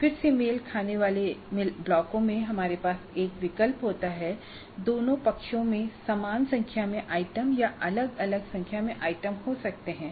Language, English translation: Hindi, Again in the matching blocks we have a choice both sides can have same number of items or different number of items